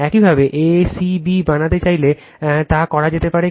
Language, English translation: Bengali, If you want to make a c b also, it can be done